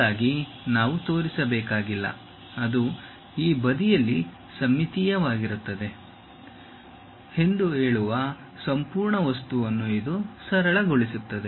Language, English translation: Kannada, This simplifies the entire object saying that we do not have to really show for this, that will be symmetric on this side also